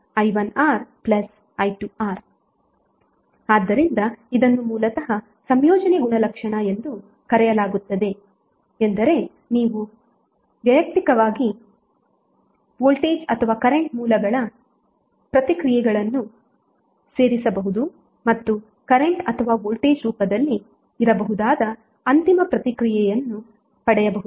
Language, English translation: Kannada, So this is basically called as a additivity property means you can add the responses of the individual voltage or current sources and get the final response that may be in the form of current or voltage